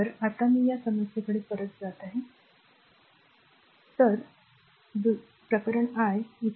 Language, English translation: Marathi, So, now I am going back to that problem, let me clean this